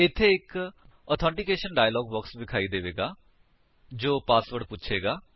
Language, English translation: Punjabi, Here, an authentication dialog box appears asking for the Password